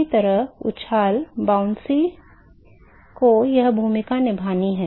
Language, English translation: Hindi, Somehow the buoyancy has to play a role here right